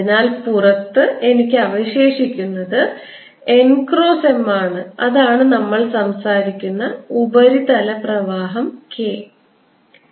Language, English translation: Malayalam, so outside i am going to have n cross m left and that is the surface current that we talk about, which is k